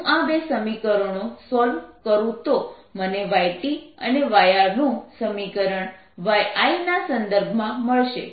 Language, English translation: Gujarati, i solve the two equations and i'll get results for y transmitted and y reflected in terms of y incident